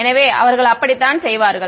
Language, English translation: Tamil, So, that is how they do